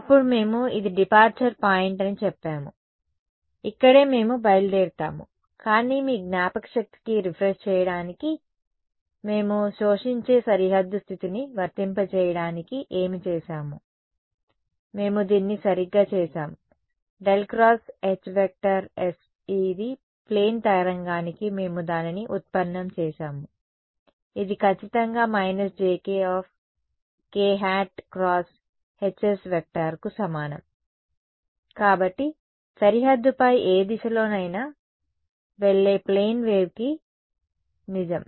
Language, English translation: Telugu, Then we said this is the point of departure right this is where we will make a departure, but just to refresh your memory what did we do to apply the absorbing boundary condition we did this right we said that this del cross H s for a plane wave we have derived it, it was exactly equal to jk k hat cross H s